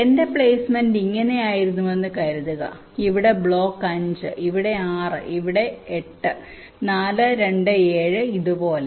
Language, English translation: Malayalam, but suppose my placement was like this, where block five is here, six is here, eight is here four, two, seven, like this